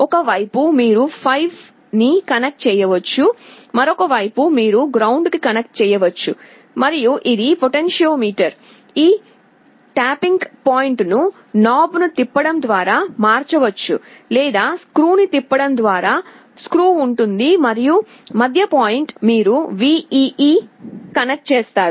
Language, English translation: Telugu, On one side you can connect 5V, on the other side you connect ground, and this is a potentiometer, this tapping point can be changed either by rotating a knob or there is screw by rotating a screw, and the middle point you connect to VEE